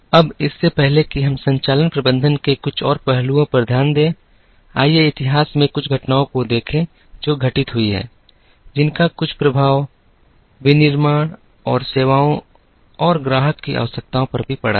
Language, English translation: Hindi, Now, before we get into some more aspects of operations management, let us look at a few events in history that have happened, which have some impact on, how manufacturing and services and also the customer's requirements have changed